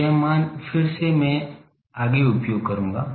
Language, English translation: Hindi, So, this value actual again I will use in the next one